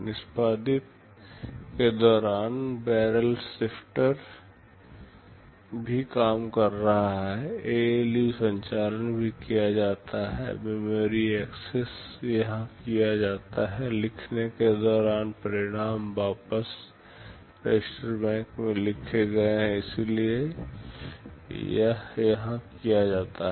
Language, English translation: Hindi, During execute the barrel shifter is also working, ALU operations also carried out, memory access are carried out here; during write, the results written back into the register bank, so it is done here